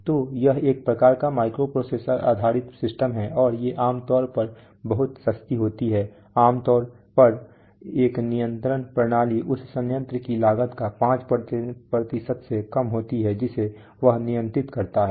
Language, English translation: Hindi, So it is a kind of microprocessor based system, and these are generally very inexpensive, typically a control system is less than 5% cost of the plant it controls